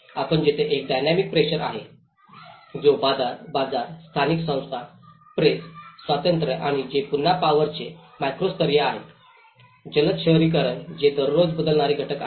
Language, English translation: Marathi, And there is a dynamic pressures, which is talking about the market, the local institutions, the press freedom and which are again the macro level of forces, the rapid urbanizations which are everyday changing factors